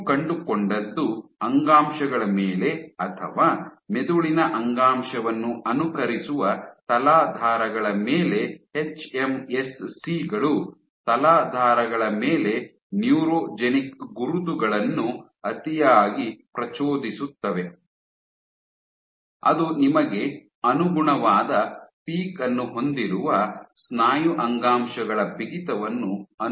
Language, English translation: Kannada, So, what you find was on tissues or on substrates which mimic the brain tissue the hMSCs tend to over express neurogenic markers on substrates which mimic the muscle tissues stiffness you have a corresponding peak